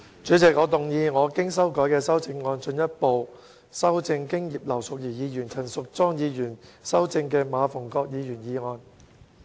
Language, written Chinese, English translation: Cantonese, 主席，我動議我經修改的修正案，進一步修正經葉劉淑儀議員及陳淑莊議員修正的馬逢國議員議案。, President I move that Mr MA Fung - kwoks motion as amended by Mrs Regina IP and Ms Tanya CHAN be further amended by my revised amendment